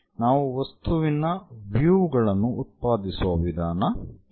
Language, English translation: Kannada, So, this is the way we generate the views of the object